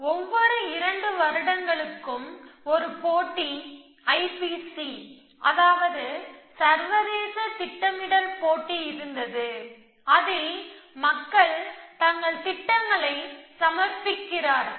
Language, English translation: Tamil, They used to be, there is every 2 years a competition call I P C international planning competition, in which people submit their programs